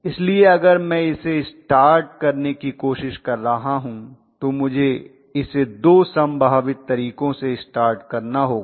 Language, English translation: Hindi, So if at all I am trying to start it, I have to start it in all probability with two of the methods